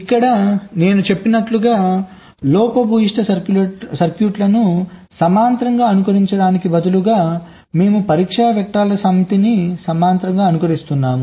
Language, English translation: Telugu, so here, as i said, instead of simulating a faulty set of faulty circuits in parallel, we simulate a set of test vectors in parallel